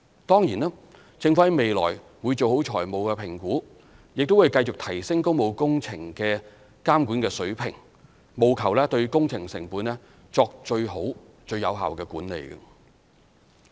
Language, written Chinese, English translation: Cantonese, 當然，政府在未來會做好財務評估，亦會繼續提升工務工程監管水平，務求對工程成本作最好和最有效的管理。, In the future the Government will certainly conduct financial assessments properly and continue to upgrade the standard of public works monitoring in a bid to identify the best and most effective approach to project cost management